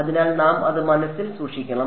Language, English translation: Malayalam, So, we have to keep in mind that